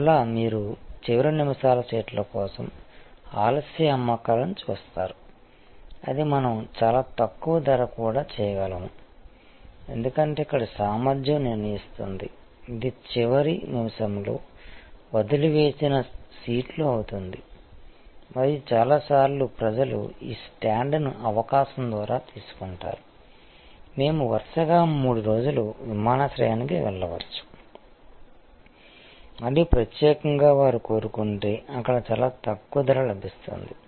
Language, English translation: Telugu, And again you see late sales for the last minutes seats that can also we at a very low price, because here the capacity is in determinant it will be the seats left out of the last minute and, so many times people take this stand by opportunity we may go to the airport 3 days consecutively and want particular they there will get that very low price see that there looking for